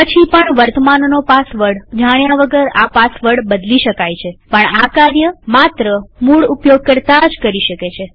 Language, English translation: Gujarati, Then also the password can be changed without knowing the current password, but that can only be done by the root user